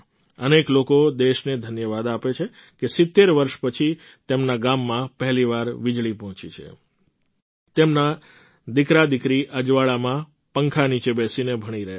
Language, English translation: Gujarati, Many people are thankful to the country that electricity has reached their village for the first time in 70 years, that their sons and daughters are studying in the light, under the fan